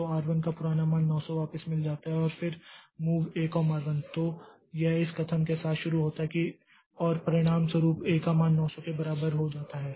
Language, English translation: Hindi, So, R1 gets back its old value of 900 and then move A comma R1 so this starts with this statement as a result value of A becomes equal to 900